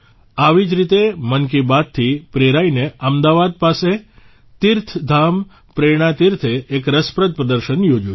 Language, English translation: Gujarati, Similarly, inspired by 'Mann Ki Baat', TeerthdhamPrernaTeerth near Ahmadabad has organized an interesting exhibition